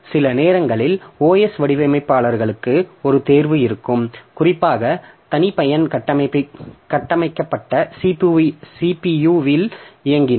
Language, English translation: Tamil, Sometimes the OS designers have a choice, especially if running on custom built CPU